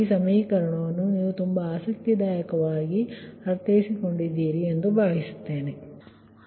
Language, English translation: Kannada, i hope this equation you have understood this very interesting, right